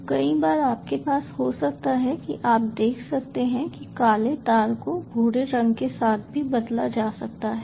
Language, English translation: Hindi, so many are times you may have you may see that the black wire may be replace with brown ones also